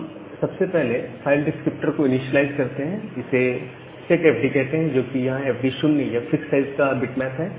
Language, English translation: Hindi, So for that what we do, we first initialize the file descriptor set fd set, which is a bitmap of fix size with this fd 0, then we make the call to fd set